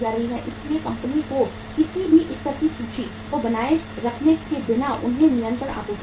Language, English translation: Hindi, So company without even maintaining any level of inventory they get the continuous supply